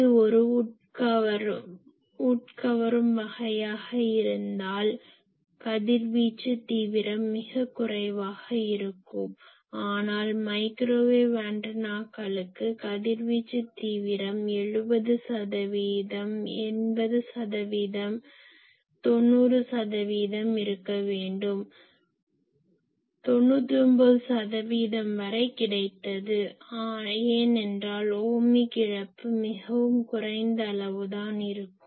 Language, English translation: Tamil, If it is an absorber type of thing, then radiation intensity will be very low but for microwave antennas the radiation intensity should be 70 percent, 80 percent, 90 percent like that , we were 99 percent also it can be because Ohmic loss is very small